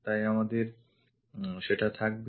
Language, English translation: Bengali, So, we will have that